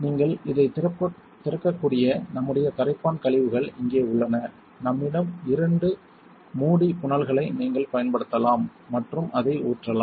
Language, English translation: Tamil, Here is our solvent waste you can open this, we have couple of lid funnels you can use and pour it in